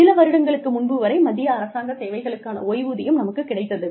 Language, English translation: Tamil, And, we have, we used to have, pension in the central government services, till a few years ago